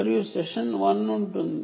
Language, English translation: Telugu, so this is session one